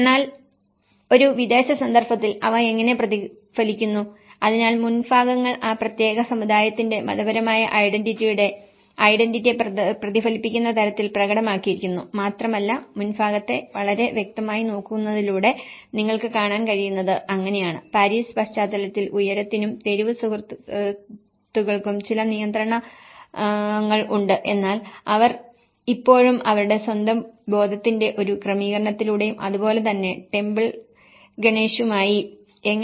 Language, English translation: Malayalam, But how they are reflected back in a foreign context, so the facades have been manifested in such a way, that they reflect the identity of the religious identity of that particular community and what you can see is so by looking it the facade so obviously, there are certain control regulations of heights and the street friends in the Paris context but then still considering those how they have tried to fit with this with a setting of their own sense of belonging and similarly, with the temple Ganesh